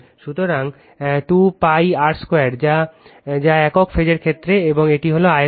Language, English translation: Bengali, So, 2 into pi r square l right that is for the single phase case, this is the volume